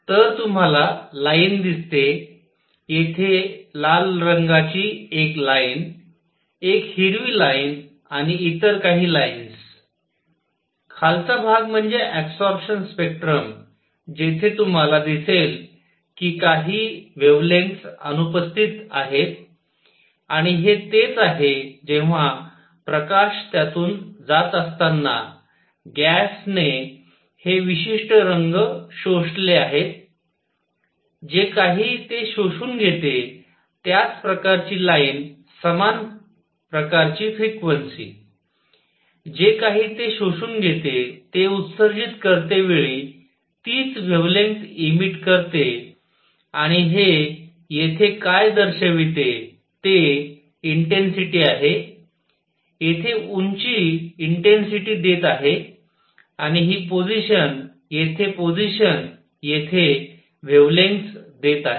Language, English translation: Marathi, So, you see line; a line at red here, a green line and some other lines, the lower portion is the absorption spectrum where you see that certain wavelengths are missing and this is where the gas when light is passing through it has absorbed these particular colors; whatever it absorbs, the same kind of line same kind of frequency, whatever it absorbs, same wavelength it emits when it is emitting and what this shows here is the intensity, the height here gives intensity and this position here the position here gives wavelength